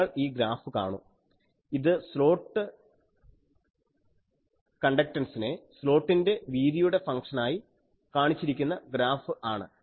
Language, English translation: Malayalam, Let me see the graphs, you see this graph this is a slot conductance as a function of slot width